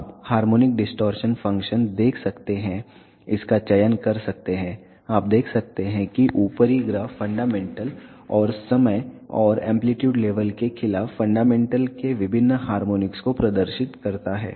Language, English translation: Hindi, You can see harmonic distortion function, select it, you can see that the upper graph demonstrates the fundamental and various harmonics of the fundamental against time and amplitude levels